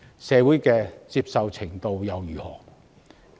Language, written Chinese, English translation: Cantonese, 社會的接受程度如何？, What about the level of acceptance in society?